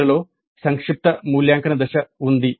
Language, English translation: Telugu, At the end there is a summative evaluate phase